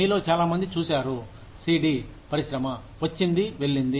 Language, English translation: Telugu, Many of you, may have seen, the CD industry, come and go